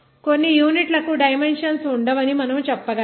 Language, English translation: Telugu, We can say that some units will not have dimensions